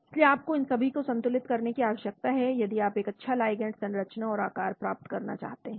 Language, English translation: Hindi, So you need to balance all these if you want to achieve a good ligand structure and shape